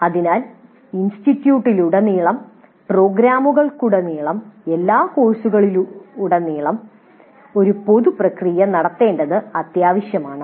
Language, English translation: Malayalam, So it is necessary to have one common process across the institute, across the programs, across all the courses